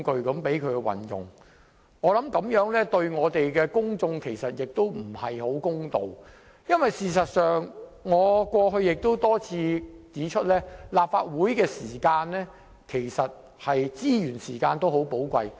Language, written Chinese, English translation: Cantonese, 我認為這樣對公眾不太公道，因為正如我過去多次指出，立法會的時間及資源都很寶貴。, I think it will be unfair to the public . As I have repeatedly pointed out in the past the time and resources of the Legislative Council are precious